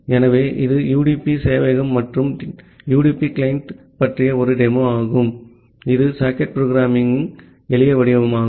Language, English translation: Tamil, So, this is a demo about the UDP server and a UDP client which is the possibly the simplest form of the socket programming